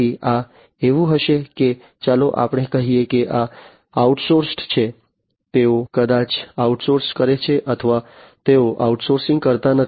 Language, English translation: Gujarati, So, this will be like let us say that these are outsourced, they maybe outsource or they may not be outsource